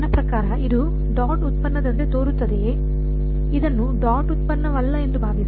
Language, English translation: Kannada, Does this look like the dot product between I mean, think of this as a not a dot product